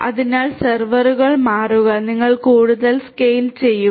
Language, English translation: Malayalam, So, servers switch and you scale up further